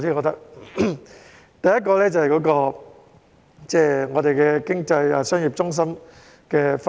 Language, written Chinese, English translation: Cantonese, 第一，這涉及香港經濟商業中心的分布。, First it involves the distribution of Hong Kongs economic and commercial centres